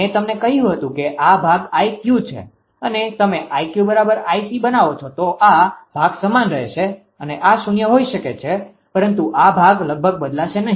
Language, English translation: Gujarati, So, this part I told you i Q if you made i Q is equal to I C then your what you call this ah your this part will remains same this may be 0, but this part will almost unchanged